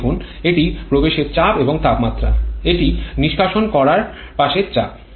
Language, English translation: Bengali, Look at this, this is the inlet pressure and temperature, this is the exit side pressure